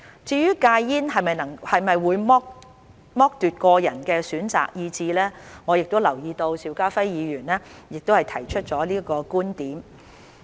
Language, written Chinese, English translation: Cantonese, 至於戒煙是否會剝奪個人選擇的意志，我留意到邵家輝議員亦提出了這個觀點。, As to whether quitting smoking deprives individuals of their will to choose I note that Mr SHIU Ka - fai has also raised this point